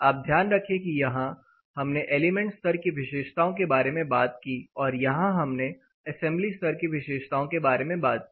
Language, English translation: Hindi, Again you know please remember here we talked about the material level property; here we are talking about the assembly level property